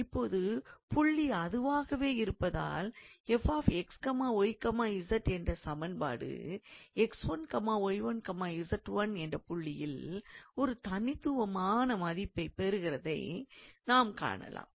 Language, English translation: Tamil, So, j and now we see that the equation since f x, y, z has a unique value at x 1, y 1, z 1, because the point is same